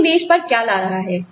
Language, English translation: Hindi, What is one bringing to the table